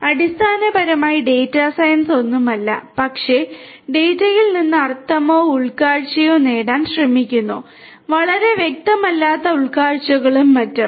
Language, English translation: Malayalam, So, basically data science is nothing, but trying to derive meaning or insights, from data insights that may not be very apparent and so on